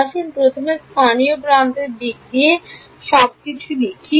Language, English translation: Bengali, Let us write everything in terms of local edges first ok